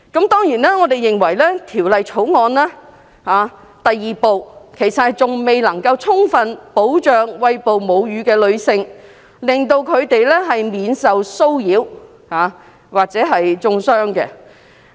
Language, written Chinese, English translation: Cantonese, 當然，我們認為《條例草案》第2部其實仍未充分保障餵哺母乳的女性，令她們免受騷擾或中傷。, I think this is a small step forward . We certainly think that Part 2 of the Bill has yet to fully protect breastfeeding mothers from harassment or insult